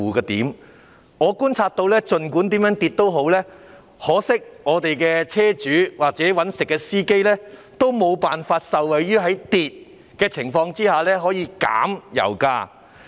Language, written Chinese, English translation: Cantonese, 很可惜，我觀察到，儘管油價怎樣下跌，我們的車主或在職司機均無法受惠於油價下跌而享有較低油價之利。, It is a pity that from my observation no matter how significantly oil prices have dropped our vehicle owners and serving drivers still fail to benefit from the drop in oil prices and enjoy a lower pump price